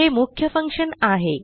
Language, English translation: Marathi, This is our main functions